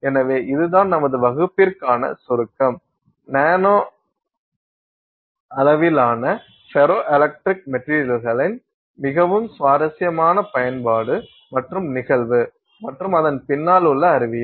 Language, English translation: Tamil, So, that's our summary for the class, very interesting use of ferroelectric materials in the nanoscale and the phenomenon and the science behind it